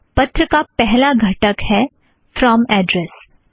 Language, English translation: Hindi, The first component of the letter is the from address